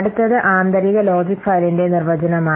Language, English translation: Malayalam, That's why this is internal logical file